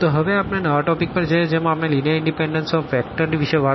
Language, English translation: Gujarati, Well, so, now going to the next topic here we will be talking about linear independence of vectors and what do we have here